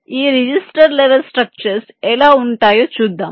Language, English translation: Telugu, let see how this register level to structures look like